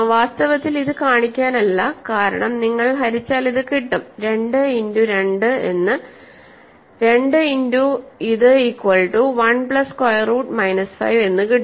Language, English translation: Malayalam, So, one can show that both are common divisor that is because 2 certainly divides 6, 2 times 3, 6, 2 also divides this 2 times 1 plus square root minus 5 is 6